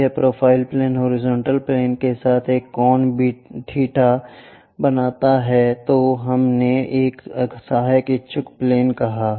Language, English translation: Hindi, If this profile plane makes an angle beta with the horizontal plane, we called auxiliary inclined plane